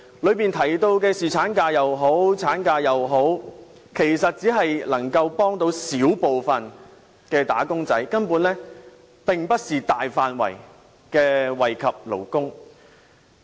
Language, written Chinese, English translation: Cantonese, 當中提到的侍產假或產假，其實只能幫到小部分"打工仔"，根本並不是大範圍惠及勞工。, Moreover very few labour policies are proposed in the Policy Address . It mentions paternity leave or maternity leave . This proposal however can only benefit a small number of workers rather than the masses of workers in general